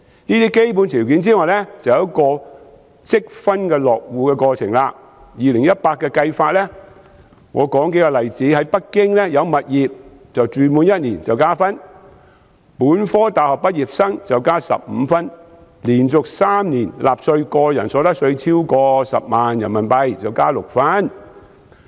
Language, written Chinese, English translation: Cantonese, 這些基本條件外，還有一個積分落戶的過程，就2018年的計算方法，我列舉數個例子：在北京有物業及住滿1年加1分，本科大學畢業生加15分，連續3年納稅、個人所得納稅額超過10萬元人民幣加6分。, Apart from these basic conditions there is also a points - based household registration process . Regarding the scoring method for 2018 I cite a few examples 1 additional point is awarded to those having property in Beijing and lived there for 1 year; 15 additional points are awarded to graduates holding a bachelors degree; and 6 additional points are awarded to those who have paid personal income tax for 3 consecutive years amounting to more than RMB100,000